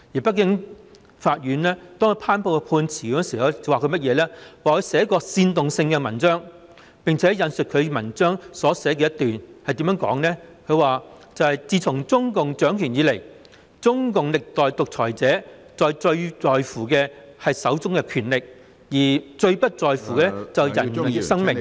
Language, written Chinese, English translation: Cantonese, 北京法院頒布判詞時說他曾撰寫煽動性文章，並且引述其文章中一段話，內容如下："自從中共掌權以來，中共歷代獨裁者最在乎的是手中的權力，而最不在乎的是人的生命"......, In the judgment handed down by a Beijing court it is said that he has written seditious articles and an excerpt from his articles was cited as follows since the Communist Party of China CPC assumed power the successive dictators of CPC were most concerned about the power in their hands but not the lives of the people